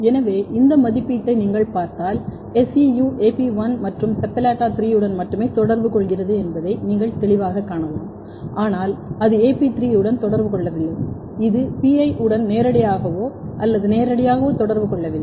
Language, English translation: Tamil, So, if you look this assay, you can clearly find that SEU is interacting only with AP1 and SEPALLATA3, but it is not interacting with AP3, it is not directly or physically interacting with PI